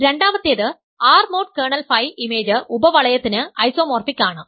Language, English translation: Malayalam, Second is R mod kernel phi is isomorphic to the image subring